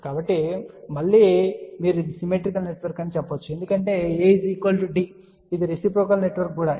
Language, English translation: Telugu, So, again you can say that this is symmetrical network why because A is equal to D, it is also reciprocal network because AD minus BC will be equal to 1